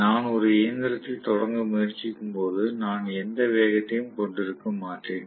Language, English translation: Tamil, When I am trying to start a machine, I am going to have basically hardly any speed